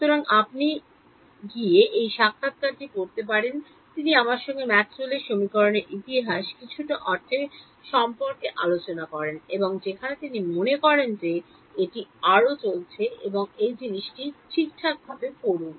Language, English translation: Bengali, So, you can go and read this interview, he talks about I mean a little bit of history of Maxwell’s equations and where he thinks it is going in so on and so on, do read this thing alright